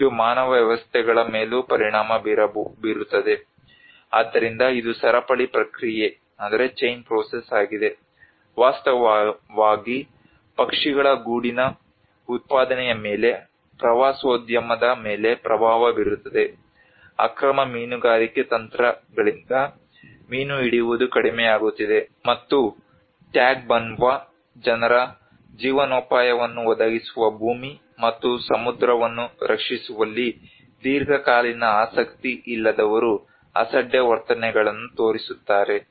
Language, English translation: Kannada, It also affects the human systems, so there is a chain process, in fact, the impact of tourism on birdís nest production, the diminishing fish catch caused by illegal fishing techniques, and the careless attitudes of the people who do not have a long term interest in protecting the land and sea which provide a livelihood of the Tagbanwa people